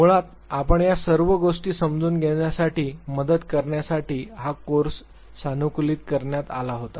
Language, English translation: Marathi, This course was basically customized to help you understand all these